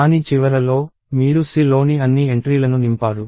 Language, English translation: Telugu, So, at the end of it, you have all the entries in C filled up